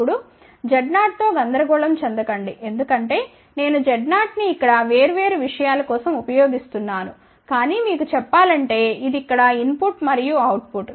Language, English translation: Telugu, Now, do not get confused with the z 0 because I am using z 0 for different things here, but just to tell you this is the input and output here